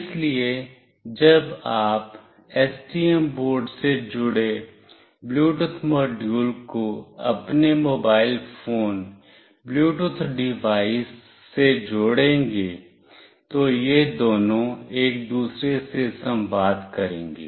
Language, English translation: Hindi, So, when you will be connecting the Bluetooth module connected with the STM board to your mobile phone Bluetooth device, these two will communicate with each other